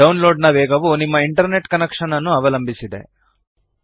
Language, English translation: Kannada, The download speed depends on your internet connection